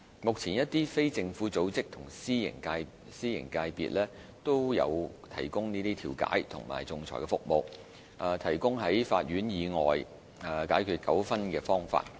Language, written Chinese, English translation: Cantonese, 目前一些非政府組織和私營界別均有提供調解和仲裁服務，提供在法院以外解決糾紛的方法。, A number of non - governmental organizations and the private sector offer mediation and arbitration services allowing disputes to be resolved outside the courts